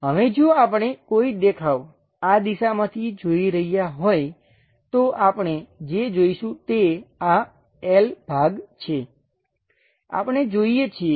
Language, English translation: Gujarati, Now, if we are looking a view from this direction, what we are supposed to see is this L portion, we are supposed to see